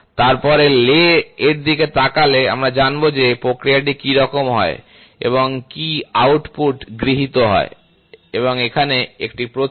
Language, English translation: Bengali, So, then by looking at the lay we will know what is the process done and what is the output taken and here is a symbol